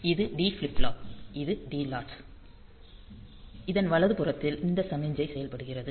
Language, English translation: Tamil, So, this D flip flop; this D latch will be so and this right to latch, so this signal is activated